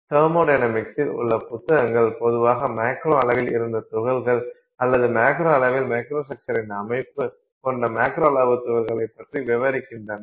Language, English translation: Tamil, So, therefore the books in thermodynamics have typically you know dealt with systems where particles were in the macro scale or materials had microstructure at the macro scale